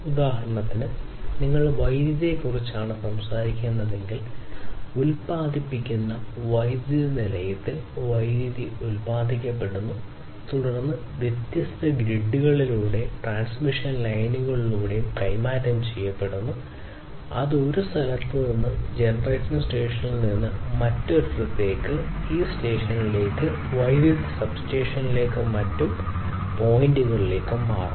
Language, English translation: Malayalam, For instance, if you are talking about electricity; electricity gets generated in the generating power plant, then it is transferred through different grids and transmission lines it is transferred from one location from the generation station to elsewhere to this station to the electricity substations and different other points